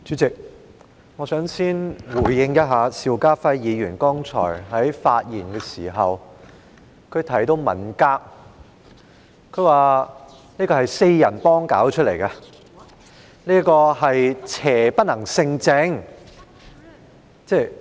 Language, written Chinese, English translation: Cantonese, 主席，我想先回應一下邵家輝議員剛才的發言，他提到文革是"四人幫"搞出來的，又說邪不能勝正。, Chairman I would like to respond to Mr SHIU Ka - fais earlier remarks first . He said that the Cultural Revolution was started by the Gang of Four and that evil can never prevail over good